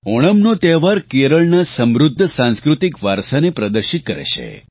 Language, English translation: Gujarati, This festival showcases the rich cultural heritage of Kerala